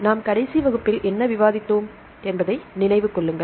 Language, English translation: Tamil, To refresh ourselves, what did we discuss in the previous class